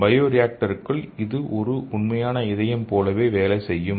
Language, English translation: Tamil, And in the bio reactor it will work like a exact heart